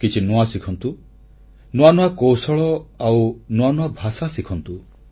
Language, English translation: Odia, Keep learning something new, such as newer skills and languages